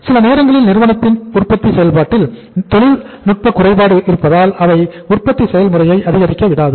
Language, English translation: Tamil, Sometime there is a technical fault in the manufacturing process of the firm so they are not able to pick up with the production process